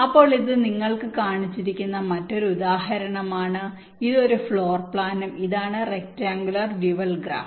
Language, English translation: Malayalam, you are shown this, a floor plan, and this is the rectangular dual graph